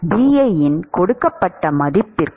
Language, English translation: Tamil, For a given value of Bi